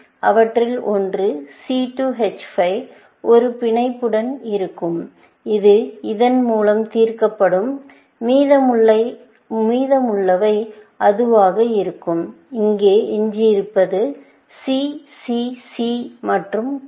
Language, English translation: Tamil, One of them will be the C2 H5 with a bond, which will be solved by this; and the remaining will be that; whatever remains here; C, C, C, and so on